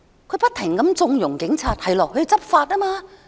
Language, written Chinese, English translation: Cantonese, 她不停縱容警察，說他們要執法。, She keeps condoning police misconduct saying that they have to enforce the law